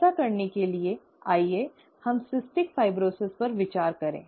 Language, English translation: Hindi, To do that, let us consider cystic fibrosis